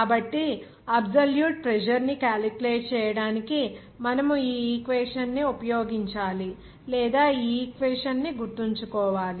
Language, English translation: Telugu, So, you have to use this equation or remember this equation to calculate the absolute pressure